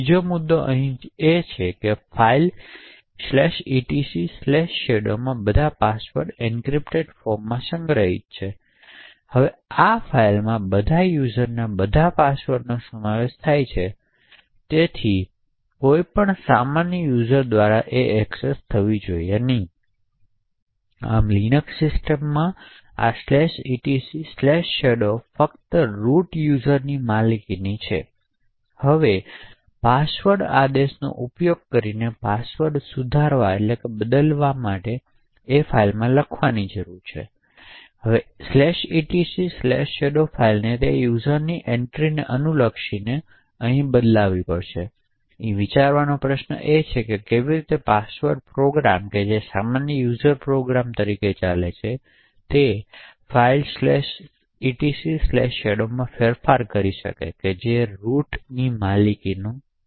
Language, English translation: Gujarati, Another point is that all passwords are stored in the encrypted form in the file /etc/shadow, now this file comprises of all passwords of all users and therefore should not be accessed by any ordinary user, thus in the Linux system this /etc/shadow is only owned by the root user, now to modify a password using the password command, it would require to write to this /etc/shadow file corresponding to the entry for that user, question to think about over here is that how can a password program which runs as the normal user program modify a file /etc/shadow which is owned by the root